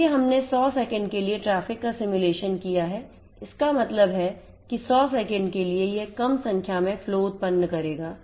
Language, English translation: Hindi, So, we have simulated emulated the traffic for 100 seconds so; that means, for 100 seconds it will generate few number flows